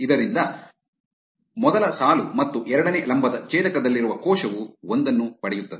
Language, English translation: Kannada, Therefore, the cell at the intersection of first row and second column gets a 1